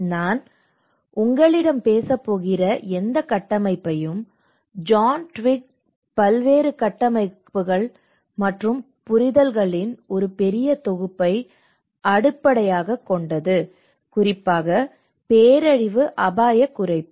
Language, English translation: Tamil, And whatever the frameworks which I am going to talk to you about, it is based on a huge compilation of various frameworks and understandings by John Twigg, especially on the disaster risk reduction